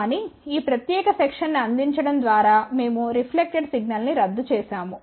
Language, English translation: Telugu, But by providing this particular section we have actually cancelled the reflected signal